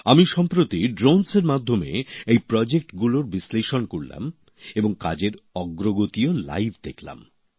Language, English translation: Bengali, Recently, through drones, I also reviewed these projects and saw live their work progress